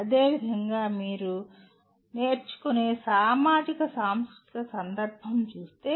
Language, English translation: Telugu, And similarly if you look at “sociocultural context of learning”